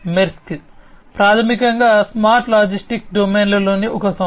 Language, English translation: Telugu, Maersk is basically a company in the smart logistics domain